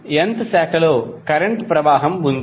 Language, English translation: Telugu, So in is the current flowing in the nth branch